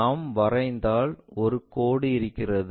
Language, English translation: Tamil, There is a line if we are drawing